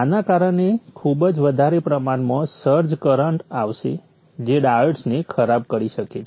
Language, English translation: Gujarati, This will result in a very huge search current which may blow off the diodes